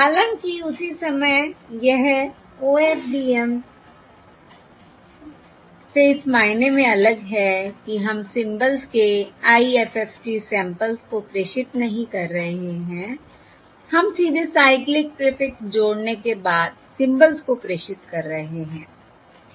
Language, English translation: Hindi, However, it is different from OFDM because we are not transmitting the IFFT samples of the symbols, rather, we are transmitting directly the cyclic prefix added symbols